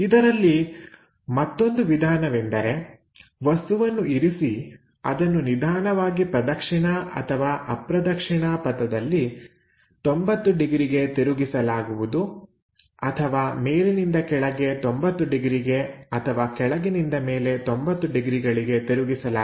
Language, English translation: Kannada, The other way is is more like you keep the object, slowly rotate it by 90 degrees either clockwise, anti clockwise kind of directions or perhaps from top to bottom 90 degrees or bottom to top 90 degrees